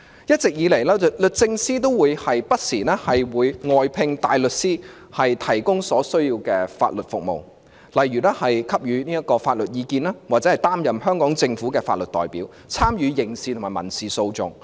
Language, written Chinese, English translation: Cantonese, 一直以來，律政司不時會外聘大律師提供所需要的法律服務，例如給予法律意見或擔任香港政府的法律代表，參與刑事及民事訴訟。, The Department of Justice DoJ has the practice of engaging outside counsel to provide the required legal services such as to provide legal advice or act as the legal representative of the Government in criminal or civil litigation